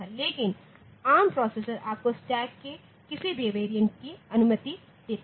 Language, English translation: Hindi, But arm processor will allow you to have any of the variants of the stack